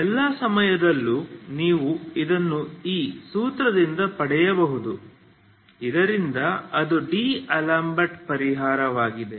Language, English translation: Kannada, For all times you can get it from this formula so that is what is the D'Alembert solution